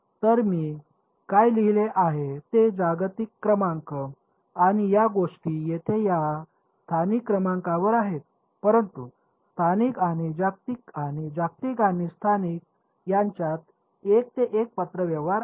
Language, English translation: Marathi, So, what I have written are global numbers and these things over here these are local numbers, but there is a 1 to 1 correspondence between local and global and global and local ok